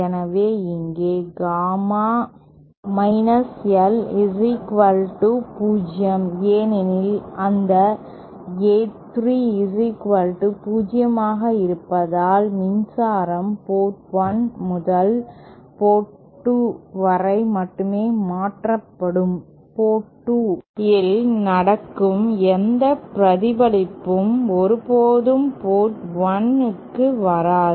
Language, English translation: Tamil, So, we have here Gamma L is equal to 0, because of that A3 is 0 and so power will transfer only from port 1 to port 2, any reflection happening at port 2 will never come back to port 1